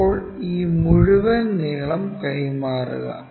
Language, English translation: Malayalam, Now transfer this entire length